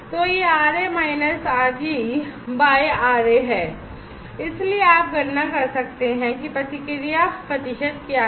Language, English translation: Hindi, So, it is R a minus R g by R a so you can calculate what is the response percent